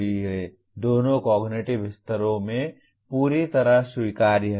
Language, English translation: Hindi, Perfectly acceptable in both the cognitive levels